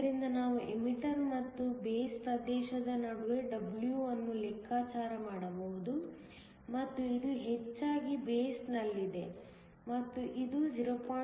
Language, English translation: Kannada, So, we can calculate W between the emitter and the base region, and this mostly lies in the base, and this comes out to be 0